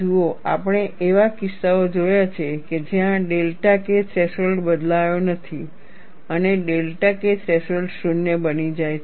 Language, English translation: Gujarati, See, we have seen cases where delta k threshold is not altered or delta K threshold becomes 0